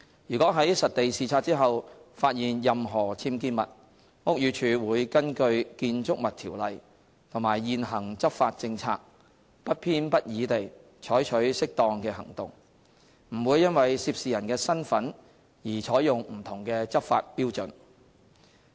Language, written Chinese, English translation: Cantonese, 如在實地視察後發現任何僭建物，屋宇署會根據《建築物條例》和現行執法政策，不偏不倚地採取適當的行動，不會因為涉事人的身份而採用不同的執法標準。, If any UBWs are identified in the site inspection BD will take appropriate actions in accordance with BO and the prevailing enforcement policy in an impartial manner and will not adopt different enforcement standards because of the identity of those who involved